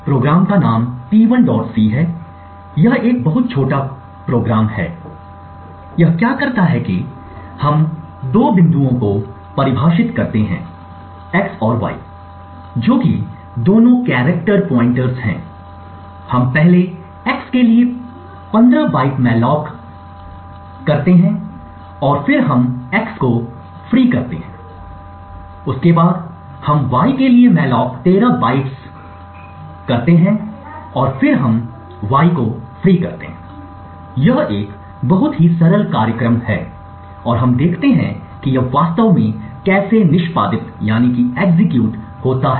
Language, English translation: Hindi, c and it is a very small program, so what it does is that we define two pointers x and y both are character pointers, we first malloc 15 bytes for x and then we free x, then later we also malloc 13 bytes for y and then we free y, this is a very simple program and let us see how it actually executes